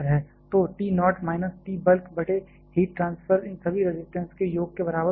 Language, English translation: Hindi, So, T naught minus T bulk divided by heat transfer should be equal to the summation of all this resistances